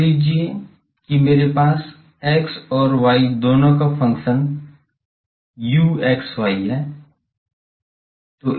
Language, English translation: Hindi, Suppose I have a function of both x and y, u x and y